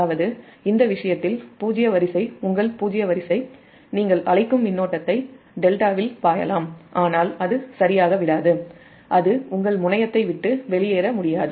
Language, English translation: Tamil, secondary, that means in this case a zero sequence, your zero sequence, that your what you call circulating current, can flow in in the delta, but it will not leave it right, it cannot leave the your terminal